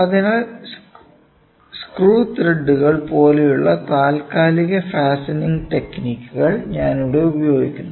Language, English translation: Malayalam, So, there also I use these temporary fastening techniques like screw threads